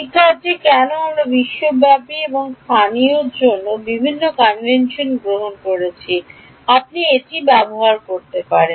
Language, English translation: Bengali, Why are we taking different conventions for global and local you can use same